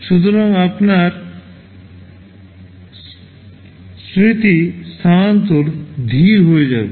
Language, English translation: Bengali, So, your memory transfer will become slower